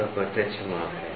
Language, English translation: Hindi, So, that is the direct measurement